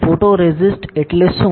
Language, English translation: Gujarati, What is photoresist